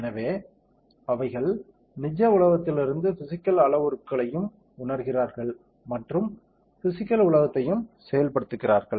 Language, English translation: Tamil, So, they also talk the sense physical parameters from the real world and the also actuate the physical world